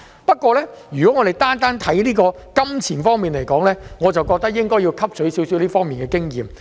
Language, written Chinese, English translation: Cantonese, 不過，如果我們單看金錢方面，我認為應該要汲取少許這方面的經驗。, However if we only look at the revenues I think that we should learn from the experience